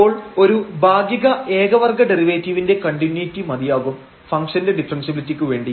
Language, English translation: Malayalam, So, the continuity of one of the partial order derivatives is sufficient for the differentiability of the function